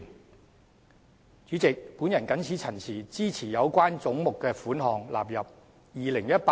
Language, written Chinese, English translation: Cantonese, 代理主席，我謹此陳辭，支持將有關總目的款額納入《2018年撥款條例草案》。, With these remarks Deputy Chairman I support the relevant heads standing part of the Appropriation Bill 2018